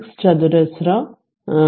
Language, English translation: Malayalam, 6 square 2